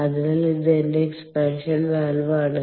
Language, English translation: Malayalam, ok, so this is my expansion valve